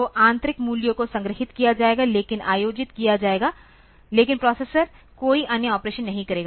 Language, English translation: Hindi, So, the internal values will be stored, but will be held, but the processor will not do any other operation